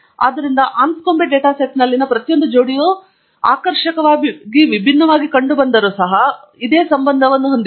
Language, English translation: Kannada, So, every pair in the Anscombe data set has the same correlation despite looking strikingly different